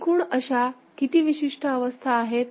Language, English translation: Marathi, So, how many unique states are there